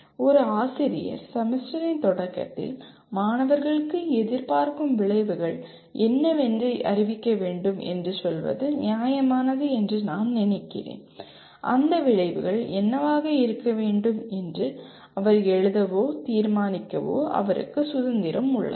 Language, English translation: Tamil, I think it is fair to say a teacher should at the beginning of the semester should declare to the students what are the expected outcomes and he has the freedom to write or decide what those outcomes he wants them to be